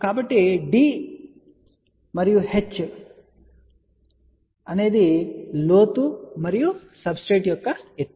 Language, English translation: Telugu, So, for d is the depth and h is h height of the substrate ok